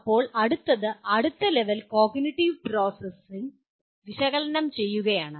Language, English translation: Malayalam, Now the next one, next level cognitive process is analyze